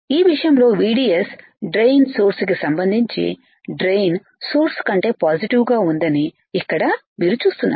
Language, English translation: Telugu, Here the case is you see VDS right drain is positive with respect to source